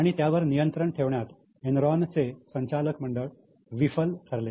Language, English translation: Marathi, So, Enron's board failed to control and oversee it